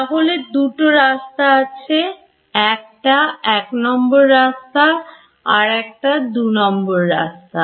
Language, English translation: Bengali, So, these are two routes; this is route 1 and this is route 2